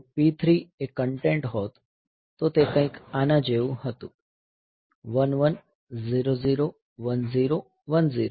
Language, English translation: Gujarati, So, if the suppose the P 3 was the content was something like this 1 1 0 0 1 0 1 0